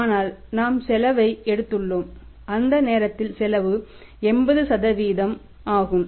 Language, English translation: Tamil, But we have taken the cost and cost was 80% at that time